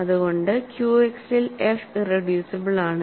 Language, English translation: Malayalam, So, f X is also irreducible